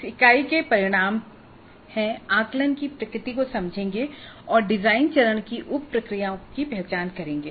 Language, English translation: Hindi, The outcomes for this unit are understand the nature of assessment, identify the sub processes of design phase